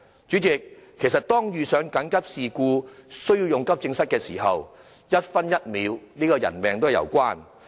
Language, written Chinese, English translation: Cantonese, 主席，其實遇上緊急事故需要使用急症室的時候，一分一秒也性命攸關。, President indeed in the event of emergencies which warrant the use of the AE department each minute and second are a matter of life or death